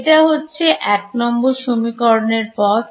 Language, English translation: Bengali, This was equation the route for equation 1